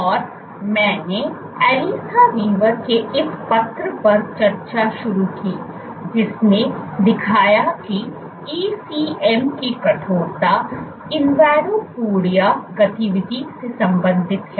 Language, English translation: Hindi, And I began discussing this paper by Alissa Weaver, who showed that ECM stiffness is correlated with invadopodia activity